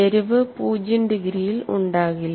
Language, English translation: Malayalam, The slope will not be at 0 degrees